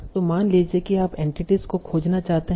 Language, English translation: Hindi, So suppose you want to find the entities